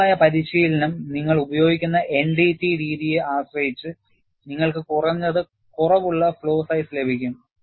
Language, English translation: Malayalam, General practice is, depending on the NDT methodology that we use, you have a minimum flaw size